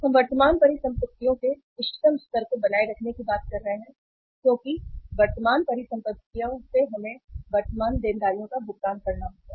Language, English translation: Hindi, Whey we are talking of maintaining the optimum level of current assets because from the current assets we have to pay the current liabilities